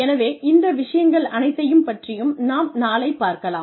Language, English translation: Tamil, So, we will cover all of these things, tomorrow